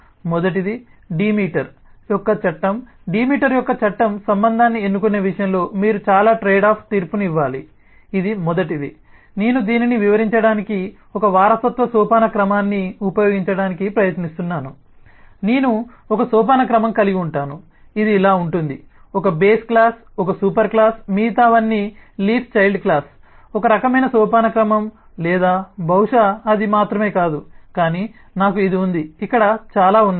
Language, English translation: Telugu, the law of demeter says that, in terms of choosing the relationship, you have to make a lot of trade off judgment, which is first i am just trying to use one inheritance hierarchy to explain this that i can have a hierarchy, that which is more like, say like this, 1 base class, one superclass, everything else is a leaf, child class is a one kind of hierarchy, or maybe not only that, but i have this lot of here